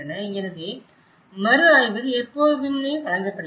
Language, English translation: Tamil, So, this is how the review is always presented